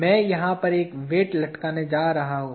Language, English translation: Hindi, I am going to hang a weight over here